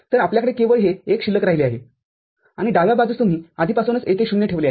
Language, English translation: Marathi, So, you will be left with this one only and left hand side you have already substituted 0 over here